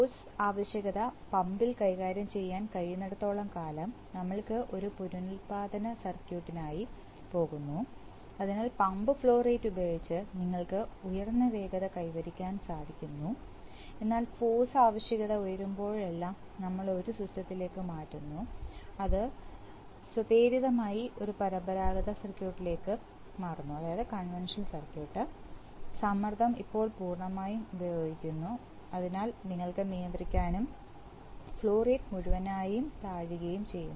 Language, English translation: Malayalam, So as long as the force requirement is manageable by the pump, we are going for a regenerative circuit having, so with the pump flow rate we are achieving a higher speed but whenever the force requirement goes up, so we are immediately switching over to a, of the system, automatically switches over to a conventional circuit, pressure is now full applied, so we can manage and the flow rate falls